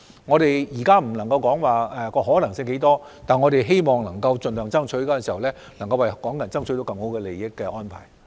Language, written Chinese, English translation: Cantonese, 我們現在不能說可能性有多大，但我們會盡力爭取，希望取得對港人更有利的安排。, We cannot say how big the chance is right now but we will try our best to secure more favourable arrangements for Hong Kong people